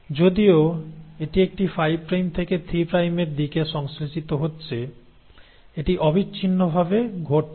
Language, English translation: Bengali, Though it is getting synthesised in a 5 prime to 3 prime direction it is not happening in a continuous manner